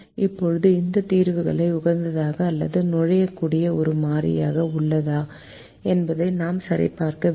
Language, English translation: Tamil, so we know how to check whether there is a variable that can enter the solution